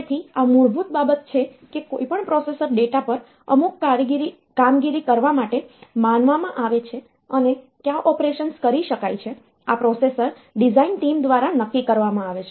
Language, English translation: Gujarati, So, this is the basic thing like any processor that is designed is supposed to do some operation on the data and what are the operations that can be done, this is decided by the processor design team